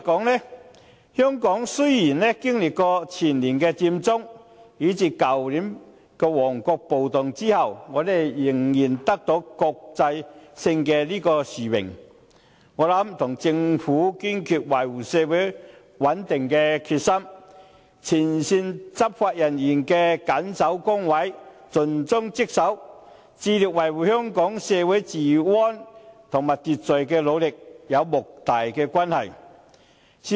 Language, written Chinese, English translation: Cantonese, 換言之，雖然經歷前年的佔中事件，以至去年旺角發生的暴動，香港仍然得到此國際性殊榮，我認為與政府堅決維護社會穩定的決心，前線執法人員在緊守崗位、盡忠職守，以及致力維護香港社會治安和秩序所作出的努力，有莫大的關係。, In my opinion the Governments determination to resolutely safeguard social stability and the efforts made by frontline law enforcement officers in striving to maintain law and order in the community with dedication and the highest sense of duty have a significant impact on Hong Kongs repeated winning of this international honour despite the occurrence of the Occupy Central incident the year before last and the riots in Mong Kok last year